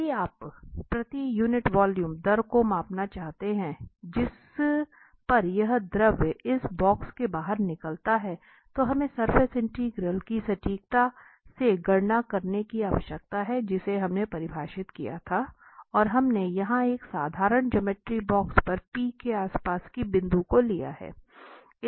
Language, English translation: Hindi, So, if you want to measure the rate here per unit volume at which this fluid flows out of this box, so, then we need to compute precisely that surface integral which was defined in the definition and we have considered a simple geometry here the box around this point P